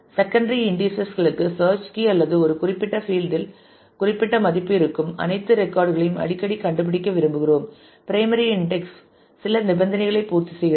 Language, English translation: Tamil, For secondary indices frequently we want to find all records where certain value in a certain field which is not the search key or the; of the primary index satisfy some condition